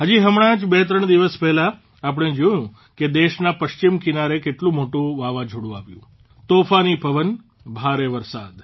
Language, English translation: Gujarati, Just twothree days ago, we saw how big a cyclone hit the western part of the country… Strong winds, heavy rain